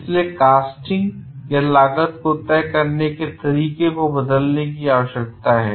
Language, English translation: Hindi, So, there is a need to change the way casting is done